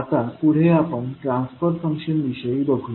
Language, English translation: Marathi, Now, let us proceed forward with the transfer function